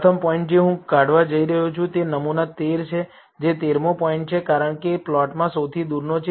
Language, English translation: Gujarati, The first point that I am going to remove is sample 13 that is the 13th point, because it is the farthest in the plot